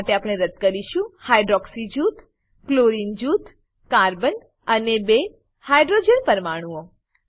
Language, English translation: Gujarati, For this, we will delete the hydroxy group, the chlorine group, the carbon and two hydrogen atoms